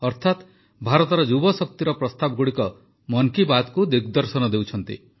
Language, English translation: Odia, Friends, suggestions received from you are the real strength of 'Mann Ki Baat'